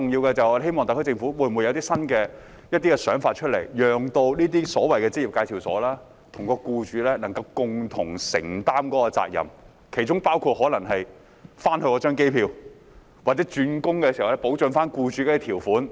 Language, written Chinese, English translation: Cantonese, 我們希望特區政府有一些新想法，讓這些職業介紹所與僱主共同承擔責任，例如訂立在回程機票或外傭轉工時保障僱主方面的條款。, We hope the SAR Government can think out of the box by asking EAs and employers to share responsibilities . For example formulating terms to protect employers in respect of providing return air tickets and FDHs entering into new employment contract